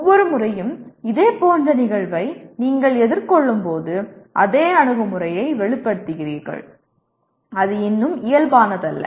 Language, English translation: Tamil, That is every time you confront the similar event, you express the same attitude rather than, it is not natural still